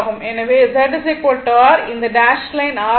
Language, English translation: Tamil, So, Z is equal to R , this is my this dash line is R right